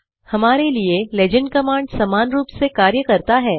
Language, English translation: Hindi, Equivalently, the legend command does this for us